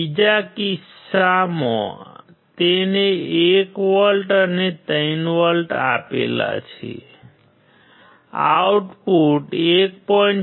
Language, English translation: Gujarati, In another case he applied 1 volt and 3 volt, output was 1